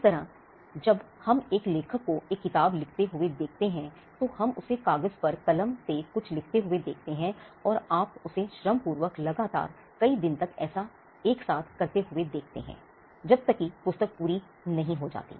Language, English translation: Hindi, Similarly, when we see an author writing a book, what we see him do is putting the pen on paper, and you seem laboriously doing that days and days together till is book is done